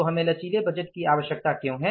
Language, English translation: Hindi, What is the flexible budget